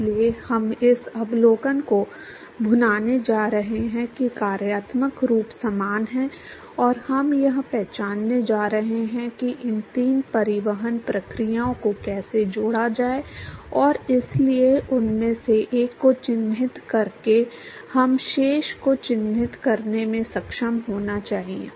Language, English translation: Hindi, So, we are going to capitalize on this observation that the functional form is similar and we are going to identify how to relate these three transport processes and therefore, by characterizing one of them we should be able to characterize the remaining